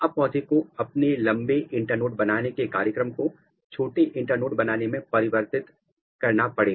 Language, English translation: Hindi, It has changed its program for making long internode to the short internode